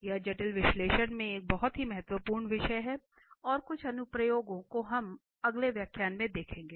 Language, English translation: Hindi, It is a very important topic in, in complex analysis and some of the applications we will observe in the next lecture